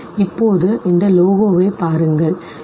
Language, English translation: Tamil, Now look at this very logo